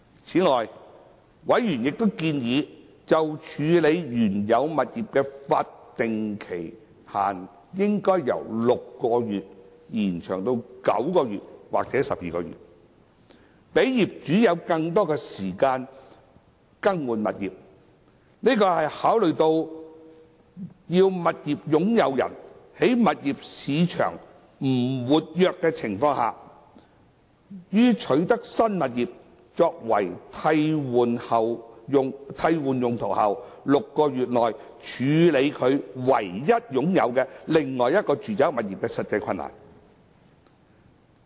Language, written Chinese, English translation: Cantonese, 此外，委員亦建議就處置原有物業的法定期限應由6個月延長至9個月或12個月，讓業主有更多時間更換物業。這是考慮到要物業擁有人在物業市場不活躍的情況下，於取得新物業作替換用途後的6個月內處置他唯一擁有的另一住宅物業的實際困難。, Having regard to the practical difficulty for a property owner in disposing of hisher only other residential property within six months amid the sluggish property market upon the acquisition of a new property for replacement Members have also suggested that the statutory time limit for disposal of the original property should be extended from 6 months to 9 months or 12 months to allow more time for property replacement